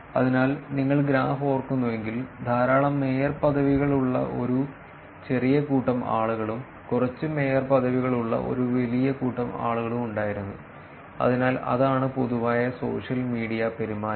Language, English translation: Malayalam, So, if you remember the graph there were small set of people who had a lot of mayorships, and a large set of people who had less number of mayorships, so that is the kind of general social media behavior also